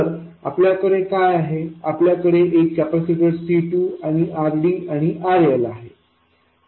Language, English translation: Marathi, All we have is a capacitor C2 and RD and RL